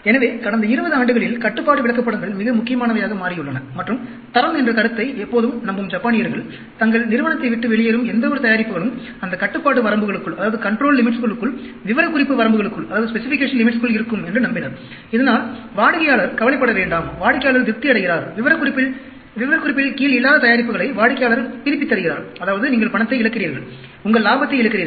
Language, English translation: Tamil, So, Control Charts have become very important in the past 20 years and Japanese, who always believed in the concept of quality, believed that whatever products that are leaving their company should be within that control limits, within the specification limits, so that the customer does not get worried, customer gets satisfied, customer does not return products which are not under specific, in specification, which means, you are losing money, you are losing your profits